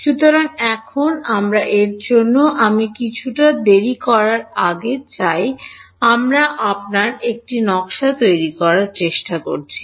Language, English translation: Bengali, So, now, we want to before I sort of late out for you let us try to design this